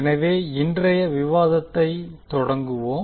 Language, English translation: Tamil, So let us start our discussion